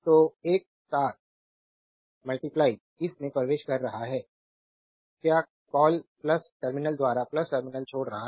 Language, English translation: Hindi, So, one is entering into this your; what you call plus terminal, another is leaving the plus terminal